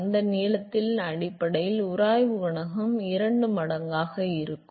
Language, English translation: Tamil, Will be twice of the friction coefficient based on that length